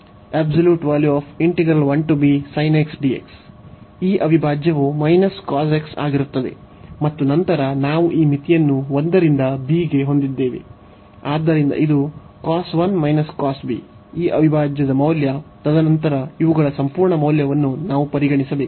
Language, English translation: Kannada, So, this integral will be the minus this cos x, and then we have this limit a to b, so which will b this cos 1 minus the cos b this integral value, and then the absolute value of of of these we have to consider